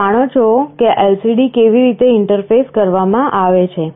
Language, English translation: Gujarati, You know how a LCD is interfaced